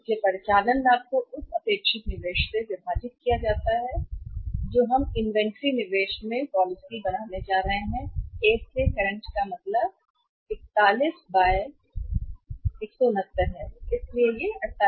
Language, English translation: Hindi, So operating profit is divided by the expected investment we are going to make or invest increased investment in inventory we are going to make and the policy current to A means it works out as 41/169 so it is 48